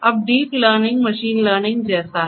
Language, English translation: Hindi, Now, deep learning is like machine learning